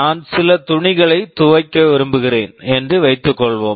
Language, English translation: Tamil, Suppose we want to wash some cloths